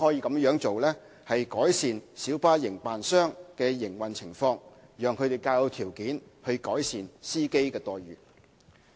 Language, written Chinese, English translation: Cantonese, 這樣做亦可改善小巴營辦商的營運情況，讓他們較有條件改善司機的待遇。, This will also improve the operational conditions of light bus operators who can thus be in a better position to improve the remuneration of drivers